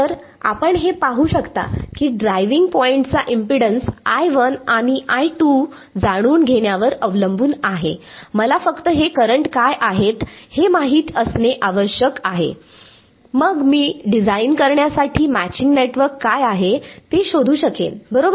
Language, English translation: Marathi, So, you can see that the driving point impedance depends on knowing I 1 and I 2, I need to know what these currents are only then I can find out what is the matching network to design right